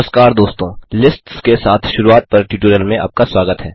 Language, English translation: Hindi, Hello friends and welcome to the tutorial on Getting started with lists